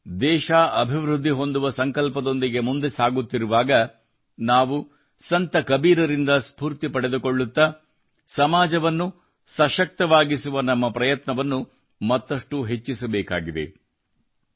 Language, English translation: Kannada, Today, when the country is moving forward with the determination to develop, we should increase our efforts to empower the society, taking inspiration from Sant Kabir